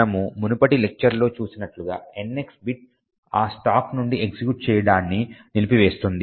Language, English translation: Telugu, As we have seen in the previous lecture the NX bit would disable executing from that stack